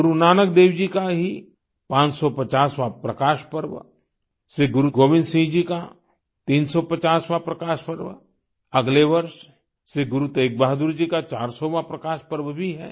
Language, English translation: Hindi, 550th Prakash Parva of Guru Nanak Dev ji, 350th Prakash Parv of Shri Guru Govind Singh ji, next year we will have 400th Prakash Parv of Shri Guru Teg Bahadur ji too